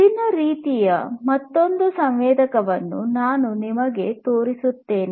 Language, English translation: Kannada, Let me show you another sensor of different type